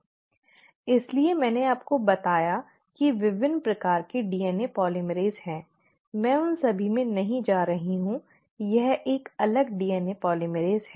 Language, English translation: Hindi, That is why I told you there are different kinds of DNA polymerases; I am not going into all of them, this is a different DNA polymerase